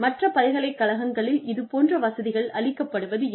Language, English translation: Tamil, It is still not the case with other universities